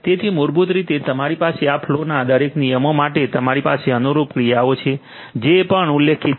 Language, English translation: Gujarati, So, basically you have for each of these flow rules you have the corresponding actions that are also specified